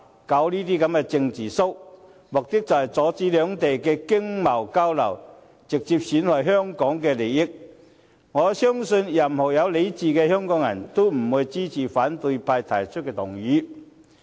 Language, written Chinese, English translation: Cantonese, 他們這種"政治 show"， 目的便是阻止兩地的經貿交流，直接損害香港的利益，我相信任何有理智的香港人，也不會支持反對派提出的修正案。, Such a political show aims only to hinder the economic and trade exchanges between the two places and to cause direct harm to Hong Kongs interest . I believe no Hong Kong person of sound mind will support any amendment proposed by the opposition camp